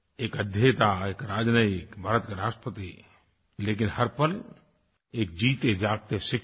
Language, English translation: Hindi, He was a scholar, a diplomat, the President of India and yet, quintessentially a teacher